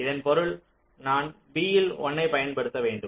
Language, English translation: Tamil, this means that i have to apply a one in b